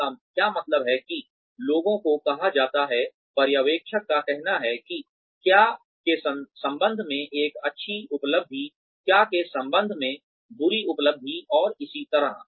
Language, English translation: Hindi, What it means is that, people are asked to, the supervisors say that, a good achievement in relation to what, bad achievement in relation to what, and so on